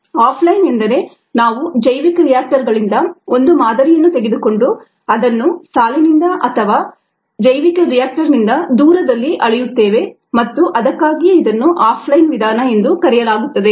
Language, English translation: Kannada, off line, we take a sample from bioreactors and then measure it away from the line or the away from the bioreactor, and that is why it is called off line method